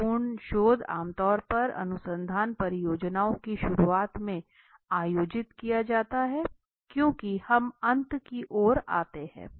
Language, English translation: Hindi, Exploratory research is usually conducted at the outset of research projects as a finally we come to the end